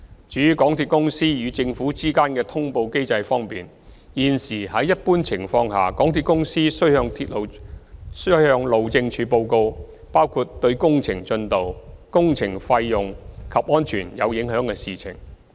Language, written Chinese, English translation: Cantonese, 至於港鐵公司與政府之間的通報機制方面，現時在一般情況下，港鐵公司須向路政署報告包括對工程進度、工程費用及安全有影響的事情。, Regarding the notification mechanism between MTRCL and the Government in general MTRCL should report to HyD matters relating to the progress of works the cost of works as well as safety concerns